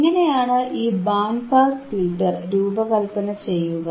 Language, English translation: Malayalam, So, how to design this band pass filter